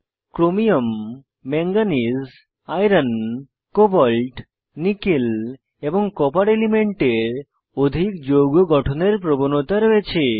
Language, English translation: Bengali, Elements Chromium, Manganese, Iron, Cobalt, Nickel and Copper have a tendency to form a large number of complexes